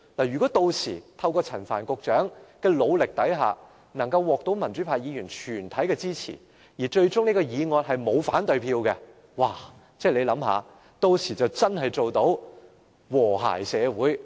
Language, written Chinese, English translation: Cantonese, 如果屆時透過陳帆局長的努力，政府獲得了民主派全體議員的支持，方案最終沒有人投下反對票，大家試想想，屆時就可以做到真正的和諧社會。, Suppose the Government eventually manages to gain the support of all pro - democracy Members thanks to the efforts of Secretary Frank CHAN and no Member casts a negative vote we can all imagine how wonderful it will be . There will be social harmony in the literal sense